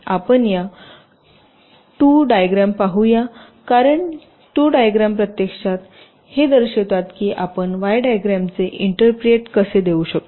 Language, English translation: Marathi, lets look at these two diagrams, because these two diagrams actually show how we can interpret the y diagram